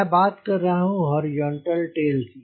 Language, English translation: Hindi, i am talking about horizontal tail